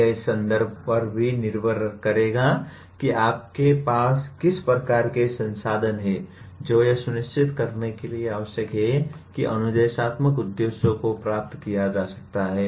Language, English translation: Hindi, It will also depend on the context what kind of resources that you have that are required to ensure that the instructional objectives can be attained